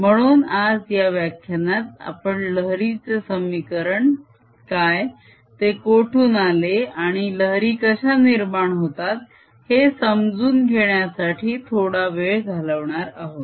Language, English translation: Marathi, so in this lecture today, we are going to spend some time to understand what wave equation is, where it comes from, what wave phenomenon is